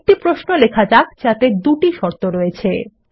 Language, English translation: Bengali, Let us write a query with two conditions